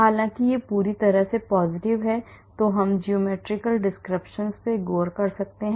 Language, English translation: Hindi, whereas this is totally positive then we can look at we looked at geometry geometrical descriptors